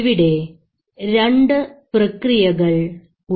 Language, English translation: Malayalam, So there are two processes